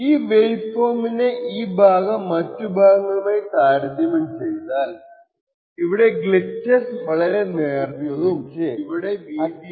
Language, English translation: Malayalam, So if you see look at this part of this waveform and compare it with this part what we see is that the glitches are very thin over here while over here we have longer glitches